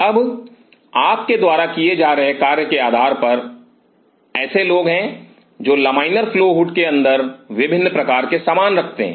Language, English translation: Hindi, Now, depending on the work you will be performing there are people who keep different kind of a stuff inside the laminar flow hood